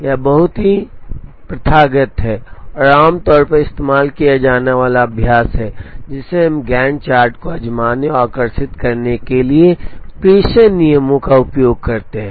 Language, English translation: Hindi, It is very customary, and very commonly used practice that we use dispatching rules to try and draw the Gantt chart